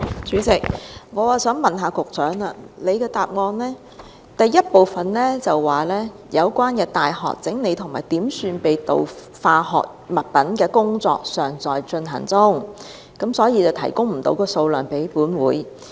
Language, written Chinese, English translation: Cantonese, 主席，我想問，局長在主體答覆的第一部分說，"相關大學整理及點算被盜化學物品的工作尚在進行中，故此暫時未能提供有關數量。, President may I ask the Secretary that as he stated in part 1 of the main reply that [u]niversities concerned are still sorting and counting the stolen chemicals so the relevant quantities cannot be provided for the time being